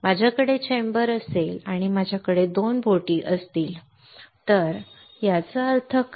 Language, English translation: Marathi, What does that mean that if I have a chamber and if I have 2 boats right